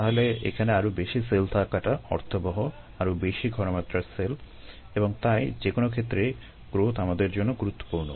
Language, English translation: Bengali, so it make sense to have more of cells, more concentration of cells and therefore, in any case, growth is important for us are